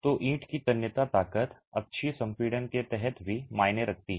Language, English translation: Hindi, So, the tensile strength of the brick matters even under axial compression